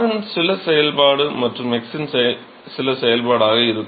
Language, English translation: Tamil, Some function of r and some function of x right